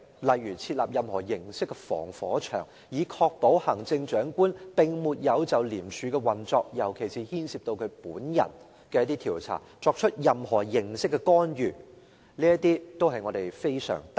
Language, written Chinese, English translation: Cantonese, 例如設立任何形式的防火牆，以確保行政長官並沒有就廉署的運作，尤其是牽涉到他本人的調查，作出任何形式的干預。, For instance has he set up a firewall of any kind to ensure that no intervention of any kind can be made from the Chief Executive on the operation of ICAC especially when an investigation concerning the Chief Executive himself is being conducted